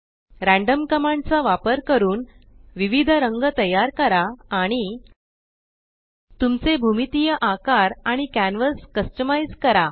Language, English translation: Marathi, Using the random command create various colors and Customize your geometric shapes and canvas